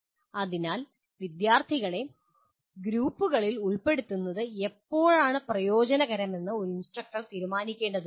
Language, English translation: Malayalam, So an instructor will have to decide when actually when is it beneficial to put students into groups